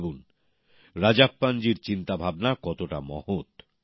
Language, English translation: Bengali, Think, how great Rajappan ji's thought is